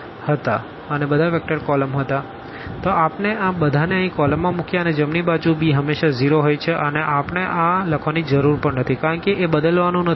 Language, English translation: Gujarati, So, we kept all these in the columns here and the right hand side this b is always 0, we can we do not have to write also this 0, 0, 0 always because that is not going to change